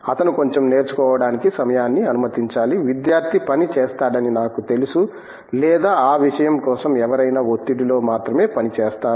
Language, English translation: Telugu, He have to allow the time for a little bit of learning, I know that student will work or for that matter anybody will work only under pressure